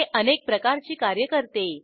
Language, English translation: Marathi, It can perform several functions